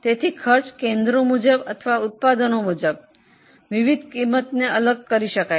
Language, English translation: Gujarati, So, different costs can be divided as per cost centres or as per products